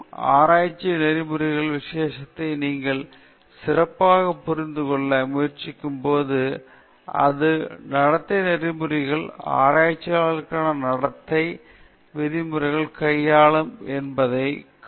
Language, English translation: Tamil, Now, again, when you try to specially understand the domain of research ethics, we can see that it deals with norms of conduct, norms of conduct for researchers